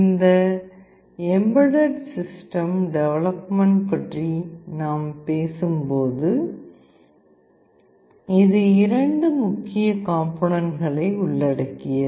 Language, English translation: Tamil, When we talk about this embedded system development, this involves two major components